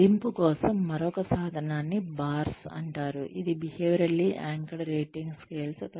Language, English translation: Telugu, Another tool for appraisal is called the BARS, which is Behaviorally Anchored Rating Scales